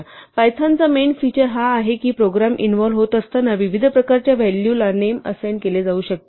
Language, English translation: Marathi, So, the name main feature of python is that a name can be assigned values of different types as the program evolves